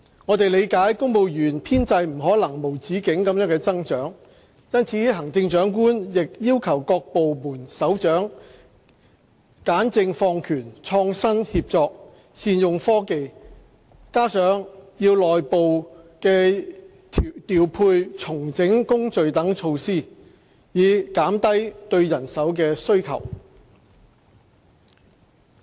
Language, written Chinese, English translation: Cantonese, 我們理解公務員編制不可能無止境地增長，因此，行政長官亦要求各部門首長簡政放權、創新協作、善用科技，加上內部調配、重整工序等措施，以減低對人手的需求。, We also understand that the civil service establishment should not be expanded without limit . For that reason the Chief Executive also asks all heads of department to enhance governance and streamline administration to be innovative and collaborative to make good use of technology in addition to implementing measures such as making internal deployment and re - engineering work processes to minimize the demand for manpower